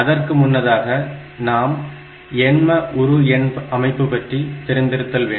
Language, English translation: Tamil, So, to start with we will look into the number systems